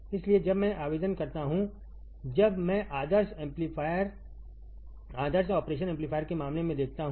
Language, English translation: Hindi, So, when I apply the; when I see that in case of ideal operation amplifier